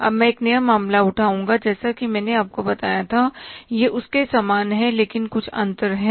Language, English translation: Hindi, Now I will take up a new case almost as I told you is similar but some differences are there